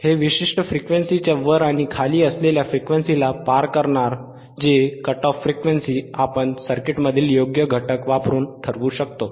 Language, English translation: Marathi, It will pass above and pass above and below particular range of frequencies whose cut off frequencies are predetermined depending on the value of the components used in the circuit